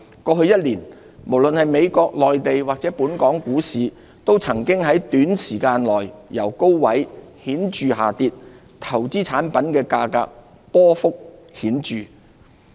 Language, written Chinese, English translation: Cantonese, 過去一年，無論是美國、內地或本港股市，都曾經在短時間內由高位顯著下跌，投資產品價格亦波幅顯著。, The stock markets in the United States the Mainland and Hong Kong dropped significantly within a short time in the past year . The prices of investment products also saw marked fluctuations